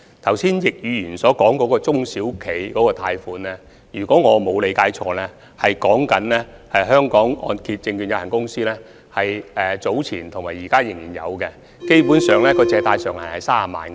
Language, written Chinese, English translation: Cantonese, 剛才易議員所說有關中小企的貸款計劃，如果我沒有理解錯，是指香港按揭證券有限公司早前及現時仍然提供的貸款計劃。, The loan scheme for SMEs which Mr YICK mentioned just now if I do not understand it wrong refers to the loan schemes offered by The Hong Kong Mortgage Corporation Limited previously and those which are still in force at present